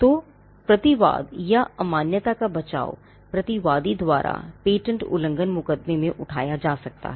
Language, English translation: Hindi, So, a counterclaim or the defense of invalidity can be raised in a patent infringement suit by the defendant